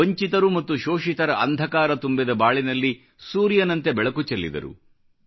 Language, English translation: Kannada, He let sunshine peep into the darkened lives of the deprived and the oppressed